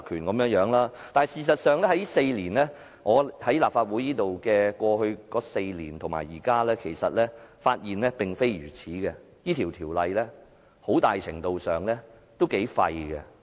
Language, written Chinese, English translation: Cantonese, 事實上，我發現現在及過去我在立法會的4年間，事實並非如此，這項條例很大程度上都很廢。, Actually based on the circumstances today and during the last four years when I have been a Member of the Council I realize that this is not true . The Ordinance has been largely ineffective